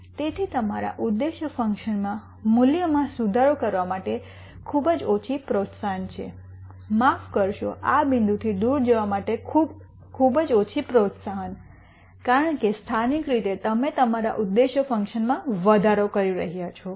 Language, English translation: Gujarati, So, there is very little incentive to improve your objective function value, sorry a very little incentive to move away from this point because locally you are increasing your objective function value